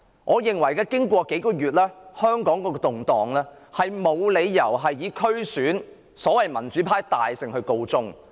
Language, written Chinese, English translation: Cantonese, 我認為香港這數個月以來的動盪，沒有理由以所謂"民主派大勝區選"而告終。, The turmoil in Hong Kong over the past few months should not stop with a landslide victory of the pro - democracy camp in the DC Election